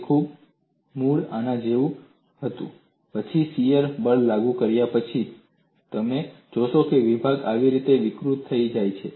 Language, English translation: Gujarati, It was originally like this , then after the shear force is applied, you find that the sections have deformed like this